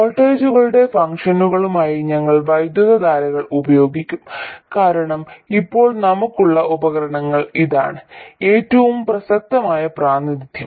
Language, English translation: Malayalam, We will use current search functions of voltages because for the devices that we have now this is the most relevant representation